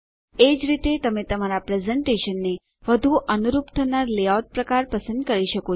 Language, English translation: Gujarati, You can similarly choose the layout type that is most suited to your presentation